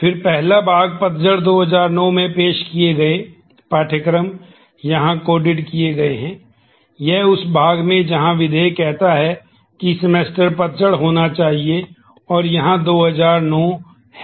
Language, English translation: Hindi, So, again the first part, the courses offered in fall 2009 is coded in this part; in part of that where clause predicate when he says semester has to be fall and here is 2009